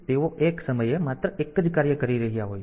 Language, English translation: Gujarati, So, they are doing only 1 task at a time